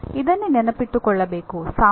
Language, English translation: Kannada, Now this is what one has to keep in mind